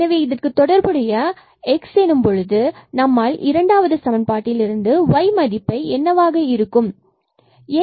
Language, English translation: Tamil, So, here x is equal to 0 makes this f x 0 and then when x is 0, so y has to be also 0 from the second equation